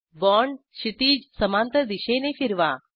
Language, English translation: Marathi, Orient the bond in horizontal direction